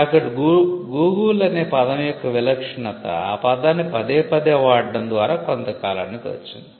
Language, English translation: Telugu, So, the distinctiveness of the word Google came by repeated usage over a period of time